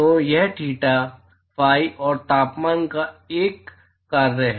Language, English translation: Hindi, So, that is a function of theta, phi, and temperature